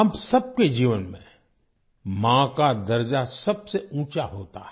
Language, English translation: Hindi, In the lives of all of us, the Mother holds the highest stature